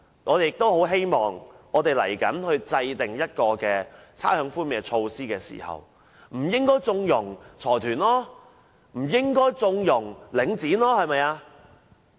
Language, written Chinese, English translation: Cantonese, 我們希望政府未來制訂差餉寬免措施時，不應縱容包括領展等財團。, When formulating rates concession measures in the future we hope the Government will not be too lenient with such consortia as Link REIT